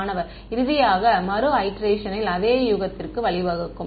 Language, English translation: Tamil, Finally, the iteration will lead to the same guess